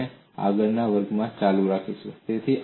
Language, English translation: Gujarati, We will continue that in the next class